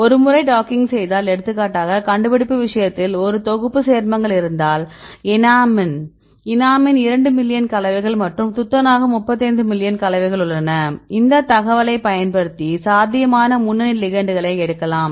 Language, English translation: Tamil, Then once we have the docking then if we have a set of compounds right for example, in the enamine there are two million compounds and the zinc 35 million compounds, you can use this information to pick up the probable ligands right which can be a potential lead compound for a, in the case of in the discovery